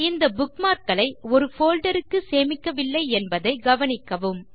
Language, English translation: Tamil, Notice that we have not saved these bookmarks to a folder